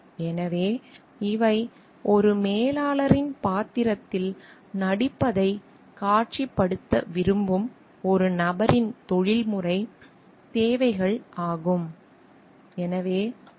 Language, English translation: Tamil, So, these are the professional requirements of a person who like visualizes himself or herself to be playing the role of a manager